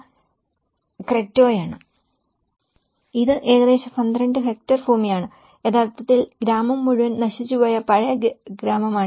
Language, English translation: Malayalam, This is about a 12 hectare land; this is actually the old village where the whole village has got destroyed